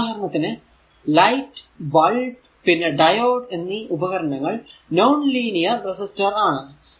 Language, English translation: Malayalam, For example, your light bulb and diode are the examples of devices with non linear resistance